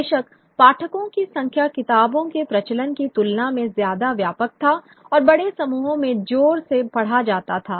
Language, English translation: Hindi, The readership was of course far wider than the circulation of the books and were read allowed to loud groups, to read aloud to larger groups